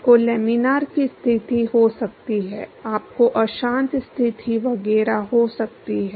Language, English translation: Hindi, You can have laminar condition, you can have turbulent conditions etcetera